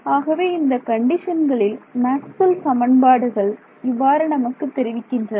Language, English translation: Tamil, But under these conditions this is what Maxwell’s equation is telling us